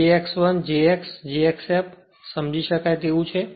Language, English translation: Gujarati, So, j x 1, j x, j x f it is understandable